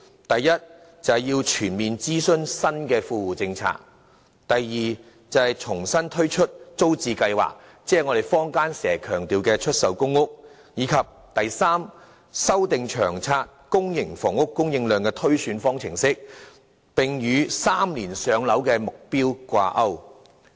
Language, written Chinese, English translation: Cantonese, 第一，就新的富戶政策進行全面諮詢；第二，重新推出租者置其屋計劃，以及第三，修訂《長遠房屋策略》公營房屋供應量的推算方程式，並與 "3 年上樓"的目標掛鈎。, First conduct a comprehensive consultation on the new Well - off Tenants Policies; second launch afresh the Tenants Purchase Scheme TPS ; and third refine the formula for the projection of public housing supply under LTHS to peg the housing supply with the target of maintaining the average waiting time for general PRH applicants at around three years